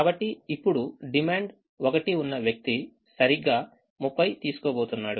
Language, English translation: Telugu, so now the, the person with demand one is going to take exactly thirty